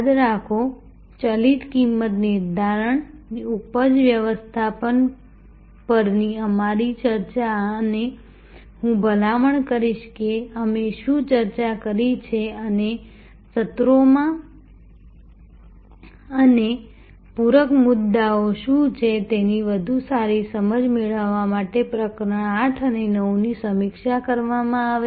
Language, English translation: Gujarati, Remember, that our discussion on variable pricing, yield management and I would recommend that chapter 8th and 9 be reviewed to get a better understanding of what we have discussed and in the sessions and what are the supplementary points